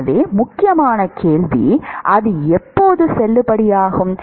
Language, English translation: Tamil, So, the important question is when is it valid